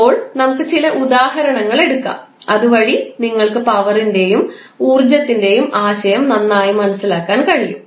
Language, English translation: Malayalam, Now, let us take examples so that you can better understand the concept of power and energy